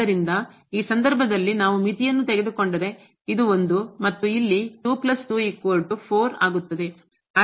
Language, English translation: Kannada, So, in this case now if we take the limit this is 1 and here 2 plus 2 so will become 4